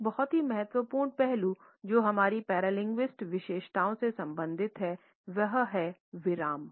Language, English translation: Hindi, A very important aspect which is related with our paralinguistic features is pause